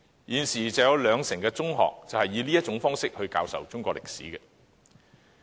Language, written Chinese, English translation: Cantonese, 現時有兩成中學以這種方式教授中史。, At present 20 % of secondary schools adopt this mode in teaching Chinese history